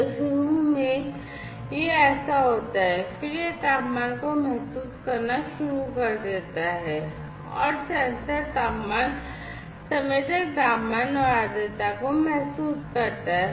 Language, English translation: Hindi, So, initially it is like that then it starts sensing the temperature and sensor temperature sensor senses the temperature and the humidity